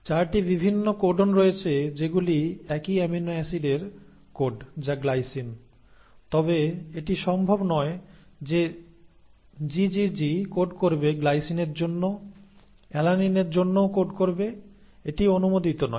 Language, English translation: Bengali, So there are 4 different codons which code for the same amino acid which is glycine, but it is not possible that the GGG will code for glycine will also code for alanine, that is not allowed